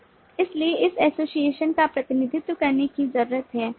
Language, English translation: Hindi, so this association needs to be represented